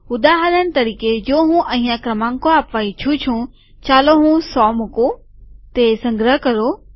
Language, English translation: Gujarati, For example, suppose I want to give numbers here, let me just put hundred, let me put 100